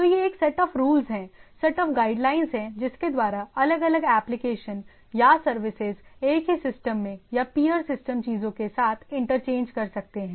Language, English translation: Hindi, So, it is a set of rules, set of guidelines or what that by which the different, the different applications or the different services in the same system or with the peer systems things can interchange